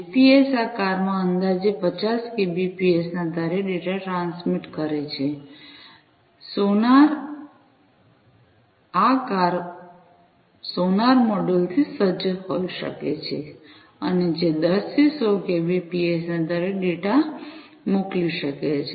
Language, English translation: Gujarati, The GPS transmits data in these cars at the rate of roughly 50 kbps, sonar these cars could be equipped with sonar modules and which could be you know sending data at the rate of 10 to 100 kbps